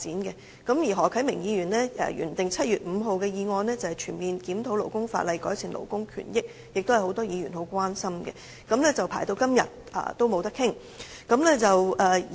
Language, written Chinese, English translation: Cantonese, 此外，何啟明議員提出原訂於7月5日會議上討論的"全面檢討勞工法例，改善勞工權益"議案，亦是很多議員關心的議題；這兩項議案輪候至今尚未能討論。, Moreover Mr HO Kai - ming originally moved a motion Conducting a comprehensive review of labour legislation to improve labour rights and interests at the 5 July meeting which should be a matter of concern to Members . But up to now the two motions are still waiting in the line for discussion